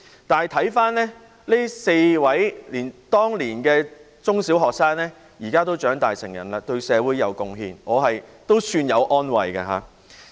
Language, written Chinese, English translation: Cantonese, 然而，回看這4位當年的中小學生，現時已長大成人，對社會有貢獻，我也感到一點安慰。, Nevertheless looking back I feel some consolation in the fact that the four then primary and secondary school students have now grown up and contributed to society